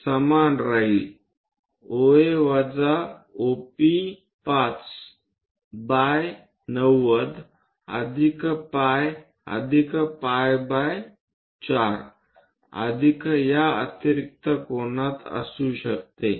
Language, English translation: Marathi, This will remain same C can be OA minus OP5 by 90 plus pi plus pi by 4 plus this extra angle